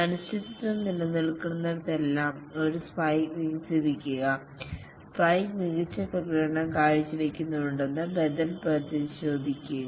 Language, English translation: Malayalam, Wherever there is uncertainty, develop a spike, check out the alternative whether the spike performs well and so on